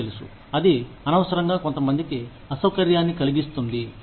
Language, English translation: Telugu, You know, that can unnecessarily make some people, uncomfortable